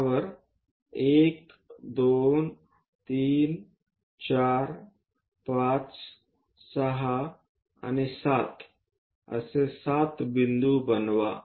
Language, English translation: Marathi, Let us do 1 2 3 4 5 6 and the 7th one